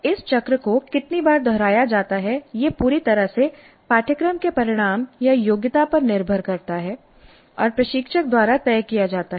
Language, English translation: Hindi, The number of times this cycle is repeated is totally dependent on the course outcome or the competency and is decided by the instructor